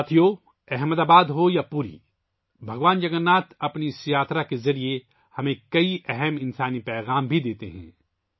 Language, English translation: Urdu, Friends, be it Ahmedabad or Puri, Lord Jagannath also gives us many deep human messages through this journey